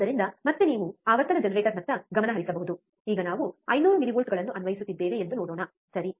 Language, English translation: Kannada, So, again you can focus on the frequency generator, let us see now we are applying 500 millivolts, alright